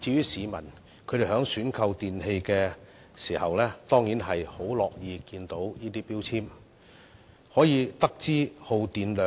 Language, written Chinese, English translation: Cantonese, 市民在選購電器時當然樂見有關標籤，因為從中可以知道產品的耗電量。, When purchasing electrical appliances people are certainly glad to see the relevant labels as they can know the energy consumption of a product from such a label